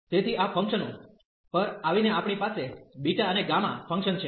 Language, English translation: Gujarati, So, coming to these functions we have beta and gamma functions